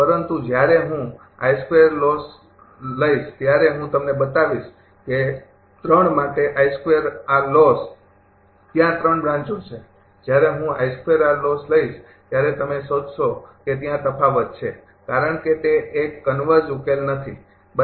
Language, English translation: Gujarati, But when we will take I square all loss I will show you also I square all loss for 3, there are 3 branches when I take I square all loss you find there is a difference is there, because it is not a converse solution right